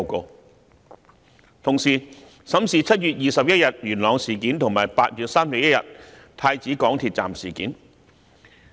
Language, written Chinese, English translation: Cantonese, 監警會同時審視7月21日在元朗發生的事件，以及8月31日在太子港鐵站發生的事件。, He expected that the first report would be released in end January or early February next year . At the same time IPCC will look into the incident on 21 July in Yuen Long and the incident on 31 August at Prince Edward MTR station